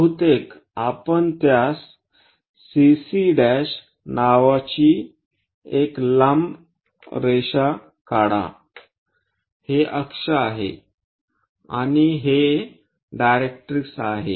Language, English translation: Marathi, Perhaps let us draw a very long line name it CC prime this is axis, and this is directrix